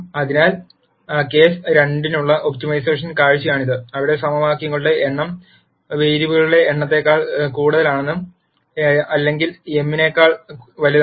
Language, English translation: Malayalam, So, this is an optimization view for case 2, where the number of equations are more than the number of variables or m is greater than n